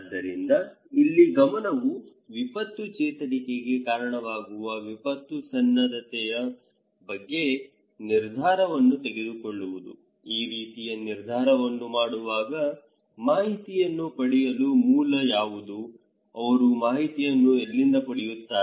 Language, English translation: Kannada, So, the focus here would be that to make the decision about disaster preparedness that would lead to disaster recovery, okay for the people while make this kind of decision, who are the source of information for individuals, from where they get the information okay